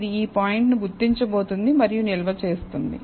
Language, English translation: Telugu, It is going to identify this point and store it